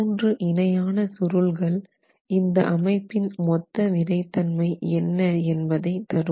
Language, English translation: Tamil, Three springs in parallel is the total stiffness of the system itself